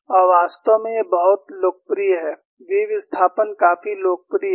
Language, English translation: Hindi, And, in fact, this is a very popular, the v displacement is quite popular